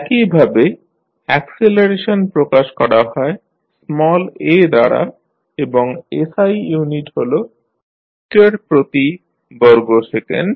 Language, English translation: Bengali, Similarly, acceleration is represented with small a and the SI unit is meter per second square